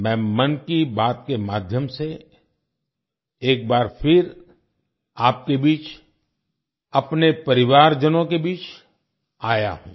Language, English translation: Hindi, And today, with ‘Mann Ki Baat’, I am again present amongst you